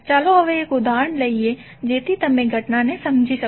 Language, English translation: Gujarati, Now let’s take one example, so that you can understand the phenomena